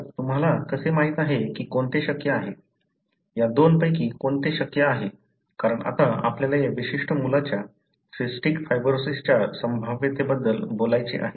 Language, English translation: Marathi, So, how do you know which is possible, which one of these two is possible, because now we have to talk about the probability of this particular kid having cystic fibrosis